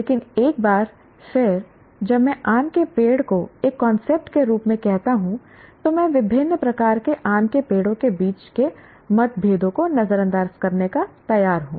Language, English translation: Hindi, But once again, when I call a mango tree as a concept, I am willing to ignore the differences between different types of mango trees that I have